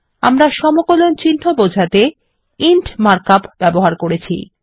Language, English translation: Bengali, We have used the mark up int to denote the integral symbol